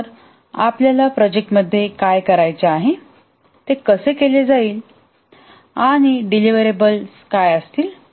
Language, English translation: Marathi, So, what we want to do in the project, how it will be done and what will be the deliverable